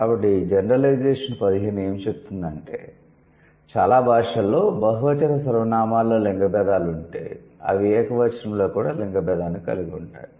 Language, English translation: Telugu, So, Gen 15 says for most languages, if they have gender distinctions in the plural pronouns, they also have gender distinction in the singular pronouns